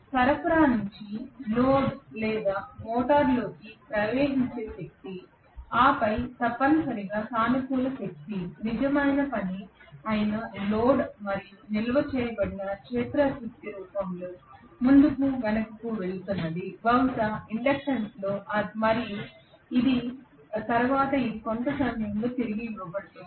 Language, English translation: Telugu, The power what flows from the supply in to the load or into the motor and then to the load that is essentially a positive power or real work done and what is going back and forth in the form of stored field energy probably in the inductance and then it is given back during sometime